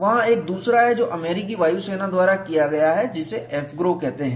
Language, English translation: Hindi, There is another one done by US Air Force, which is called as AFGROW